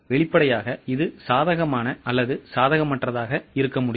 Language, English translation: Tamil, Obviously it can be either favourable or unfeorable